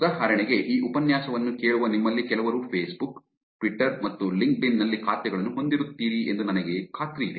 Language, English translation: Kannada, For example, I'm sure some of you in listening to this lecture will have accounts on Facebook, Twitter and LinkedIn